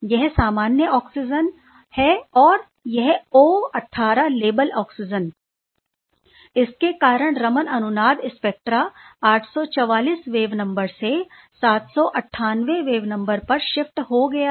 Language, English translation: Hindi, So, it was normal oxygen and then the O 18 labeled oxygen this shifts resonance Raman spectra data shifts from 844 wave number to 798 wave number that is quite fascinating